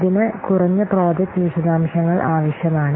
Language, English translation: Malayalam, It requires minimal project details